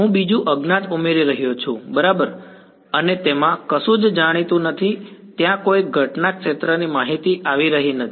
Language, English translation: Gujarati, I am adding another unknown right then the and there is nothing known there is no incident field information coming into it